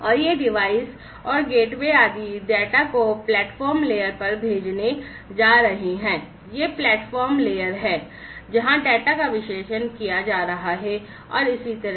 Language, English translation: Hindi, And these devices and the gateways etcetera are going to send the data to the platform layer, these are this is the platform layer, where the data are going to be analyzed, and so on